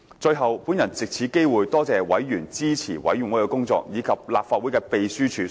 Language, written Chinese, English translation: Cantonese, 最後，我藉此機會多謝委員支持事務委員會的工作，以及立法會秘書處所付出的辛勞。, Lastly I would like to take this opportunity to thank all members for supporting the work of the Panel and the Legislative Council Secretariat for its hard work